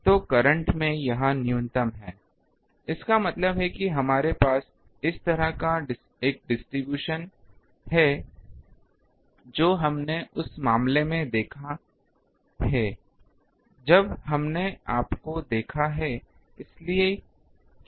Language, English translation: Hindi, So, current has a minimum here; that means, we have a distribution like this that we have seen in case of the um when we have seen you think